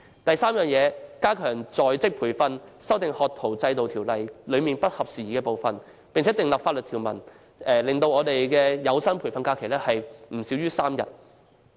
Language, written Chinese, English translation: Cantonese, 第三，加強在職培訓，修訂《學徒制度條例》中不合時宜的部分，並訂立法例，規定每年有薪培訓假期不少於3天。, Thirdly the Government should enhance on - the - job training amend the outdated parts of the Apprenticeship Ordinance and enact legislation to stipulate the provision of paid training leave of not less than three days every year